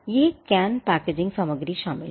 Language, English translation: Hindi, It can include packaging material